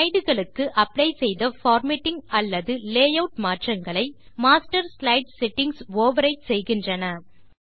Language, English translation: Tamil, The settings in the Master slide overrides any formatting changes or layouts applied to slides